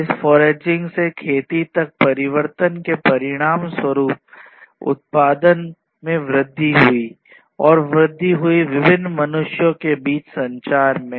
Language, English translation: Hindi, So, the result of this transformation from foraging to farming was that there was increased production, increased communication between different humans, and so on